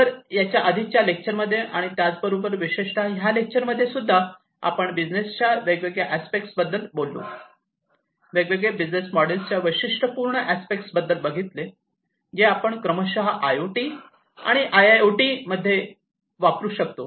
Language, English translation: Marathi, So, with this in the previous lecture as well as the as well as in this particular lecture, we have gone through the different aspects of business, the different aspects of the features of the different business models, that can be used for IoT and IIoT respectively